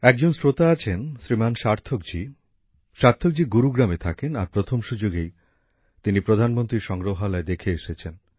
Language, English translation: Bengali, One such listener is Shrimaan Sarthak ji; Sarthak ji lives in Gurugram and has visited the Pradhanmantri Sangrahalaya at the very first opportunity